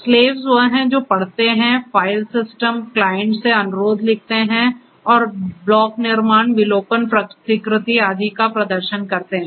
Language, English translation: Hindi, Slaves are the once which read write request from the file systems clients and perform block creation, deletion, replication and so on